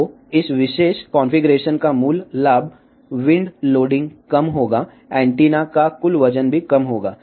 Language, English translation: Hindi, So, basic advantage of this particular configuration is wind loading will be less, total weight of the antenna will be also less